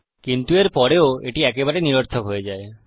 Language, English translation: Bengali, But then even after this, it becomes absolute rubbish